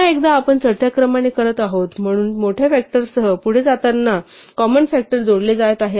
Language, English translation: Marathi, And having done so once again we are doing it in ascending order, so the common factors are being added as we go along the larger ones come later